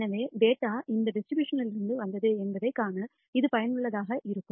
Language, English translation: Tamil, So, this is useful for visually figuring out from which distribution did the data come from